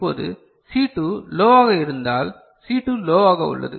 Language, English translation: Tamil, Now, if the C2 is low say C2 is low